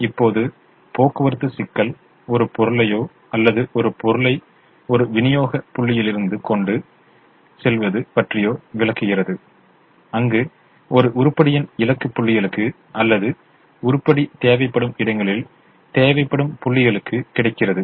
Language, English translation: Tamil, now the transportation problem talks about transporting a commodity or a single item from a set of supply points or points where the item is available to destination points or demand points where the item is required